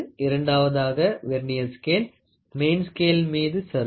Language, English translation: Tamil, Then you have a Vernier scale that is sliding on a main scale